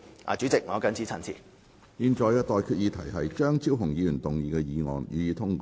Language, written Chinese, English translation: Cantonese, 我現在向各位提出的待決議題是：張超雄議員動議的議案，予以通過。, I now put the question to you and that is That the motion moved by Dr Fernando CHEUNG be passed